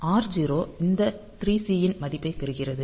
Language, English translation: Tamil, So, r0 gets the value of this 3 C